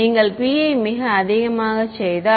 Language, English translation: Tamil, If you make p very high